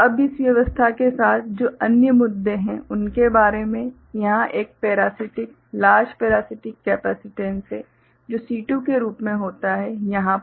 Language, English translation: Hindi, Now, regarding the other issues that are there with this arrangement so, here there is a parasitic, large parasitic capacitance that occurs as C2, over here